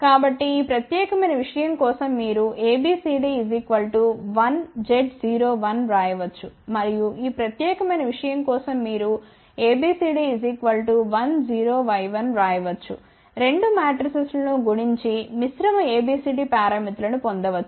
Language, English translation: Telugu, And, for this particular thing you can write ABCD parameters as 1 0 Y 1 multiply the 2 matrices and get the combined ABCD parameters